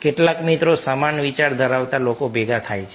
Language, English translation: Gujarati, some friends, likeminded people, come together